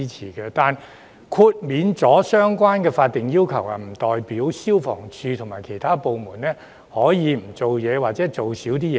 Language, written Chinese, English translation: Cantonese, 然而，豁免相關法定要求，不代表香港消防處及其他部門可以不做事或少做事。, However this exemption from the statutory requirements does not imply that the Hong Kong Fire Services Department FSD and other departments can sit on their hands or do less